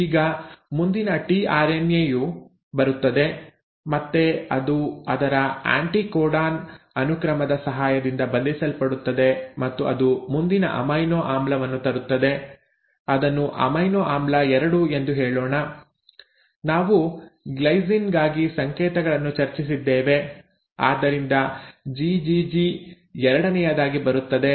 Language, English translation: Kannada, Now the next tRNA comes, again it binds with the help of its anticodon sequence, and it will bring in the next amino acid, let us say amino acid 2; I think GGG we discussed codes for glycine so this comes in as the second